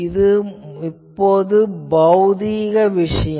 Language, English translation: Tamil, Now, so this is a physical thing